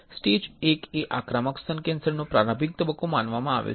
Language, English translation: Gujarati, Stage I is considered an early stage of invasive breast cancer